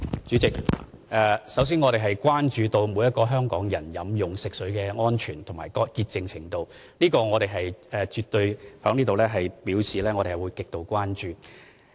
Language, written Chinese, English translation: Cantonese, 主席，首先，我們關注每一名香港人飲用食水的安全和潔淨程度，我絕對要在此表示我們對此是極度關注的。, President first of all the safety and cleanliness of potable water for every person in Hong Kong are our concern . I must express here that we are hugely concerned about this